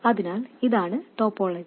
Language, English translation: Malayalam, So, this is the topology